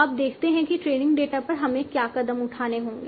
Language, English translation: Hindi, Now let us see what are the steps that we need to do over the training data